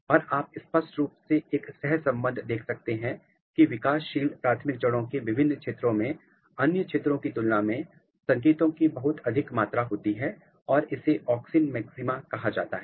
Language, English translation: Hindi, And, what you see you can clearly see a correlation that different regions of the developing primary roots they have a very high amount of signals as compared to other regions and this is called auxin maxima